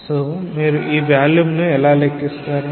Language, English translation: Telugu, So, how can you calculate the volume